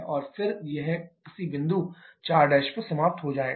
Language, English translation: Hindi, And again, it will end up at some point 4 prime